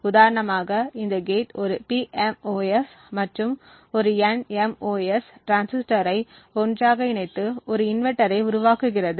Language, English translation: Tamil, Like for instance this gate over here uses a PMOS and an NMOS transistor coupled together to form an inverter